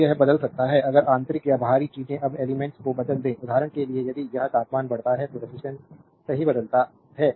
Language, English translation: Hindi, So, that it can be change if you internal or external things are that element altered; for example, if it a temperature increases so, resistance change right =